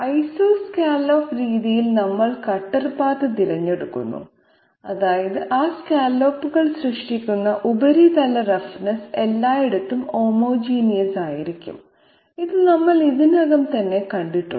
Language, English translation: Malayalam, And in the Isoscallop method we choose the cutter path specifically such that the surface roughness created by those scallops will be uniform everywhere, so this we have seen already